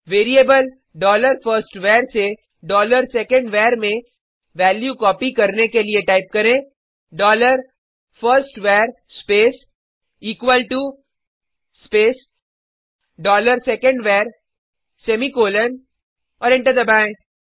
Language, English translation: Hindi, To copy the value of variable dollar firstVar to dollar secondVar, type dollar firstVar space equal to space dollar secondVar semicolon and press Enter